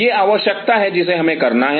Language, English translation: Hindi, This is a call we have to make